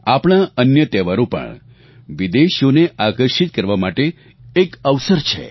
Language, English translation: Gujarati, Other festivals of our country too, provide an opportunity to attract foreign visitors